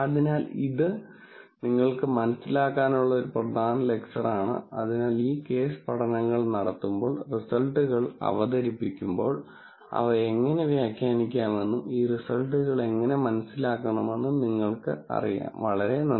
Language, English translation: Malayalam, So, this is an important lecture for you to understand so that, when these case studies are done and when the results are being presented, you will know, how to interpret them and understand these results, thank you very much